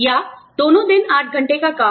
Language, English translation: Hindi, Or, 8 hours of work on both days